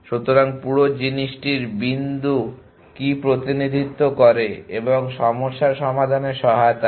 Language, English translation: Bengali, So, what the point of the whole thing is the representation of and helps solve the problem